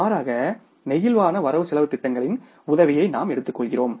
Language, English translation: Tamil, We take the help of flexible budgets